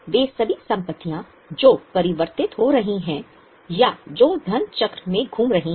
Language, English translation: Hindi, All those assets which are getting converted or which are moving in money cycle